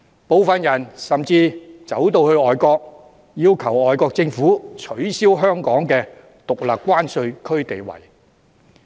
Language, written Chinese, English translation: Cantonese, 部分人甚至跑到外國，要求外國政府取消香港的獨立關稅區地位。, Certain people even went overseas and invited foreign governments to strip Hong Kong of its status as a separate customs territory